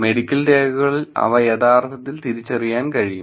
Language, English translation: Malayalam, Just in medical records they are actually identifiable